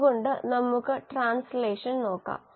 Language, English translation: Malayalam, So let us look at translation